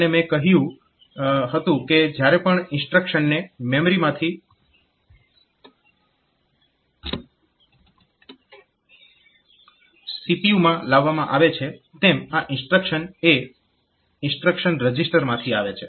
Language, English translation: Gujarati, And I said that whenever the instruction is brought from instruction is brought from memory into to the CPU, so this instruction is coming to the instruction register